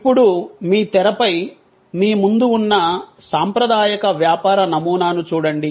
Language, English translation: Telugu, Now, on your screen in front of you, you now see the traditional model of business